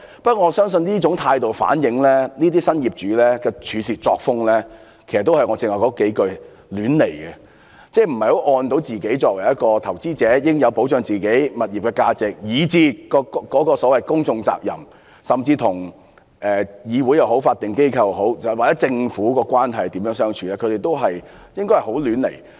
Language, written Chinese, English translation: Cantonese, 不過，我相信這種態度反映這些新業主的處事作風，正如我剛才所說，是"亂來"的，即作為投資者，在保障自己的物業價值時，對於所謂"公眾責任"，甚至與議會、法定機構或政府的關係，均是亂來的。, However I believe such an attitude reflects that the working style of these new property owners as I said just now is arbitrary . That is being investors in protecting the value of their own properties they have acted arbitrarily in respect of their public responsibility so to speak and even their relationship with the Legislative Council statutory organizations or the Government